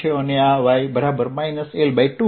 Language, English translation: Gujarati, so y equals minus l by two